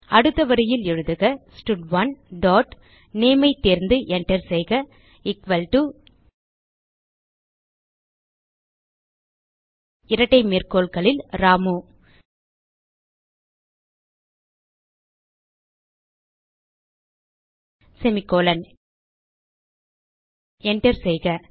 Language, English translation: Tamil, Next line type stud1 dot select name press enter equal to within double quotes Ramu semicolon press enter